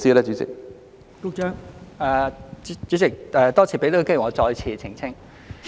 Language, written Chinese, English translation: Cantonese, 代理主席，多謝讓我有機會再次澄清。, Deputy President thank you for giving me an opportunity to make a clarification again